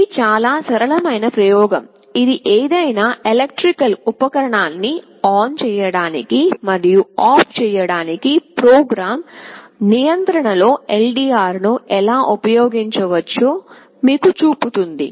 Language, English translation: Telugu, This is a very simple experiment that shows you how an LDR can be used under program control to switch ON and switch OFF any electrical appliance